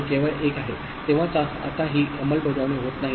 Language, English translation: Marathi, And only when it is 1, so this is now non enforcing